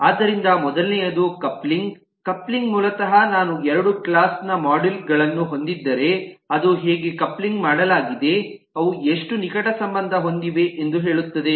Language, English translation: Kannada, coupling basically says that if i have two classes of modules, then how couple they are, how closely interrelated they are now